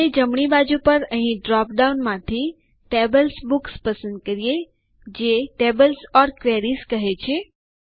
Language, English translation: Gujarati, And, on the right hand side let us choose Tables:Books from the drop down here that says Tables or Queries